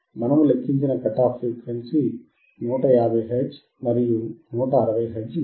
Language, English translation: Telugu, So, the cut off frequency, that we have calculated is about 150 to 160 hertz